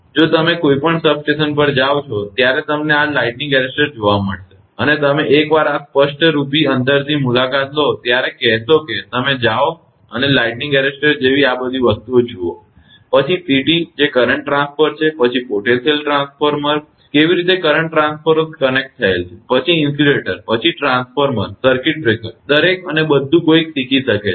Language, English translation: Gujarati, If you go to any substation you will find this lightning arresters are there, and you will say once you visit this apparently from the distance, it will go you go to go and see all these things like lightning arresters, then CT that is current transformer, then potential transformers how the current transformers are connected, then the insulators, then the transformer circuit breakers each and everything and one can learn